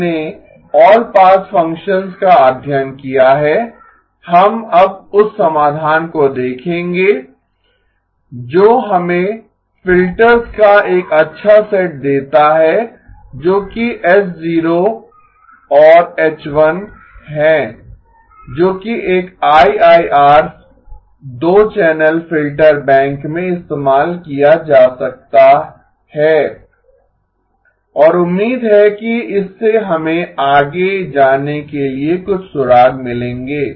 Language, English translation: Hindi, We have studied all pass functions, we will now look at the solution that gives us a good set of filters which are H0 and H1 which can be used in an IIR 2 channel filter bank and hopefully this maybe gives us some clues to go beyond